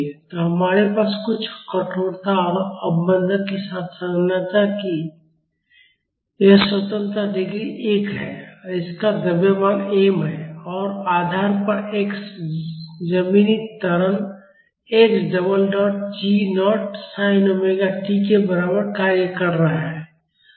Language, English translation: Hindi, So, we have this single degree of freedom structure with some stiffness and damping and it has a mass m and at the support a ground acceleration equal to x double dot g naught sin omega t is acting